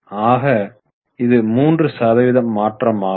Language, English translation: Tamil, It's a 3% change